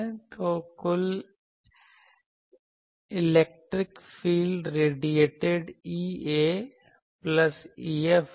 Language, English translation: Hindi, So, total electric field radiated will be E A plus E F